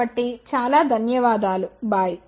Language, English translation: Telugu, So, thank you very much bye